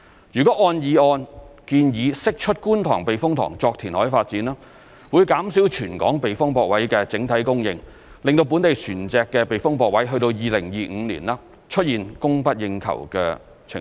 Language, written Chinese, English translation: Cantonese, 如按議案建議釋出觀塘避風塘作填海發展，會減少全港避風泊位的整體供應，令本地船隻的避風泊位在2025年出現供不應求的情況。, If the Kwun Tong Typhoon Shelter is released for reclamation development as proposed in the motion the overall supply of sheltered spaces in Hong Kong will be reduced resulting in a shortfall in the supply of sheltered spaces for local vessels in 2025